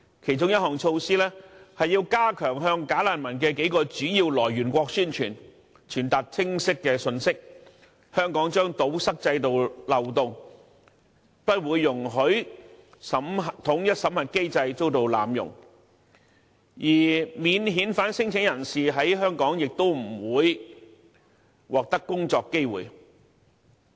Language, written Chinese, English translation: Cantonese, 其中一項措施是要加強在數個"假難民"來源國宣傳，傳達清晰的信息，表明香港將堵塞制度漏洞，不容許濫用統一審核機制，而免遣返聲請人在香港亦不會獲得工作機會。, One of the measures is to step up publicity at various countries of origin of bogus refugees in order to clearly disseminate the message by stating expressly that Hong Kong will close the loopholes in the system and will not allow any abuse of the unified screening mechanism while there will be no job opportunities for non - refoulement claimants